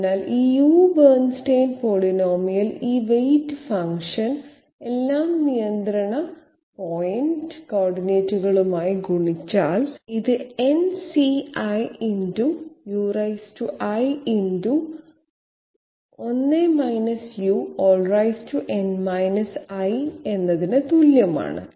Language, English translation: Malayalam, So this U what you call it Bernstein polynomial this weight function multiplied with all the control point coordinates, it is equal to n C i u to the power i multiplied by 1 u n i